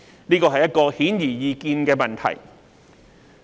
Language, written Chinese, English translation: Cantonese, 這是一個顯而易見的問題。, The answer to this question is obvious